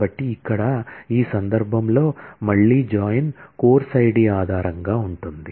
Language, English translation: Telugu, So, here in this case again the join will be based on course id